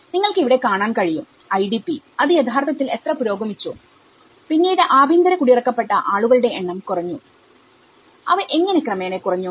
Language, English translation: Malayalam, So, you can see here that you know, the IDP how it has actually progressed and it has come down, later on, the number of internal displaced persons, how they have come down gradually